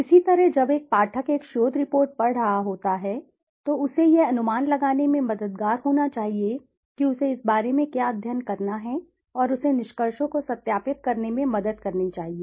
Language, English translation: Hindi, Similarly when a reader is reading a research report it should be helpful to give him an idea what is the study all about and it should help him in validating to verify and validate the conclusions